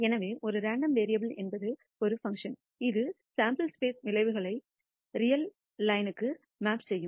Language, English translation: Tamil, So, a random variable is a function which maps the outcomes of a sample space to a real line